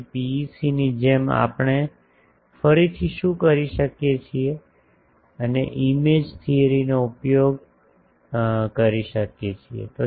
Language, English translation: Gujarati, So, what we can do again like PEC we can invoke the image theory